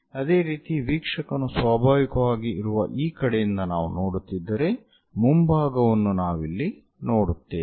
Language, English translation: Kannada, Similarly, if we are looking from this side where observer is present naturally, the front one here we will see it here